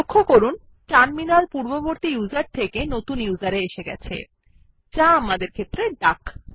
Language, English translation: Bengali, Please notice that, the Terminal switches from the previous user to the new user, which is duck in our case